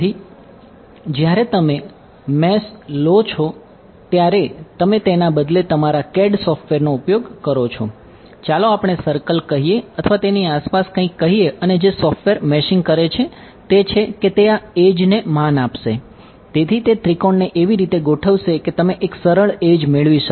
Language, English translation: Gujarati, So, when you mesh your when you use your CAD software instead of define a let us say circle or something around it and what meshing software will do is it will respect that edge